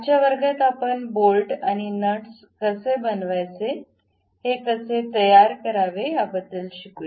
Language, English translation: Marathi, In today's class, we will learn little bit about how to make bolts and nuts, how to construct these threads